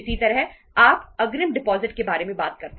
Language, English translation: Hindi, Similarly, you talk about the advance deposits